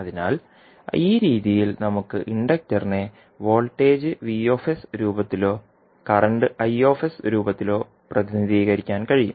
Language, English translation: Malayalam, So, in this way we can represent the inductor either for in the form of voltage vs or in the form of current i s